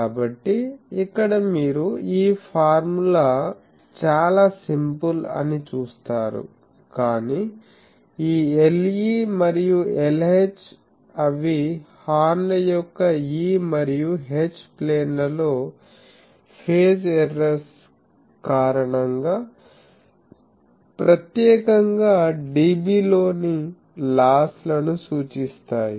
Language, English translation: Telugu, So, he here you see that this formula otherwise simple, but this L e and L h they are the, they represent specifically the losses in dB, due to phase errors in the E and H planes of the horns